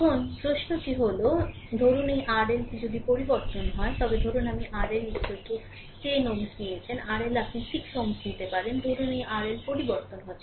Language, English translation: Bengali, Now question is, if suppose this R L is change, suppose R L you take 10 ohm, R L you can take 6 ohm, suppose this R L is changing